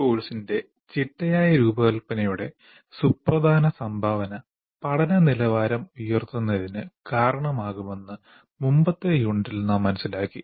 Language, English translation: Malayalam, In the previous unit, we understood the significant contribution a systematic design of a course can make to the quality of learning